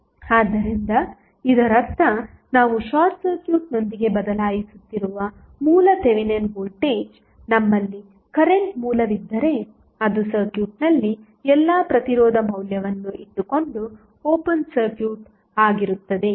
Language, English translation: Kannada, So, that means, that the original Thevenin voltage we are replacing with the short circuit, if we have a current source then it will be open circuited while keeping all resistance value in the circuit